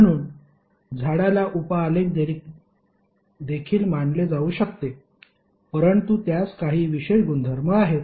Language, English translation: Marathi, So tree can also be consider as a sub graph, but it has some special properties